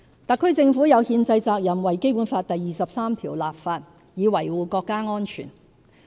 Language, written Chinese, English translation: Cantonese, 特區政府有憲制責任為《基本法》第二十三條立法以維護國家安全。, The HKSAR Government has the constitutional responsibility to legislate for Article 23 of the Basic Law in order to safeguard national security